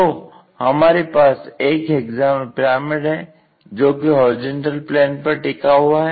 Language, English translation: Hindi, So, we have hexagonal pyramid and it is resting on horizontal plane